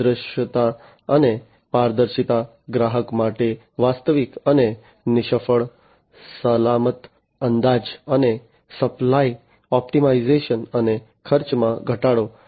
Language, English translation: Gujarati, Higher visibility and transparency, a realistic, and fail safe estimate for customers, and supply optimization, and cost reduction